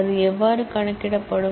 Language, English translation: Tamil, How that will be computed